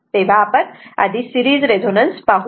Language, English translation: Marathi, So, first we will see the series resonance